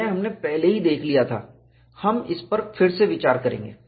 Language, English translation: Hindi, This we had already seen earlier, we will again have a look at it